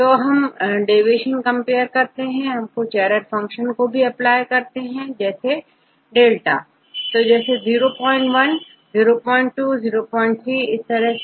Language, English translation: Hindi, So, here just we compare the deviations, we can also apply some error functions you can apply error function δ, like 0